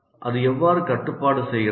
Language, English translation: Tamil, But how does it control